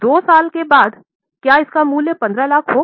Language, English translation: Hindi, After two years, will it have a value of 15 lakhs